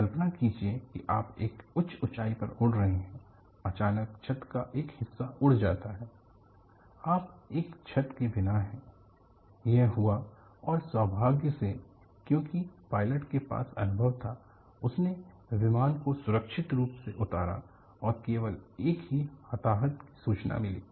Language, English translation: Hindi, Imagine that you are flying at a high altitude; suddenly a portion of the roof flies off; you are without a roof; this happened, and fortunately because the pilot was experienced, he landed the aircraft safely, and only one casualty was reported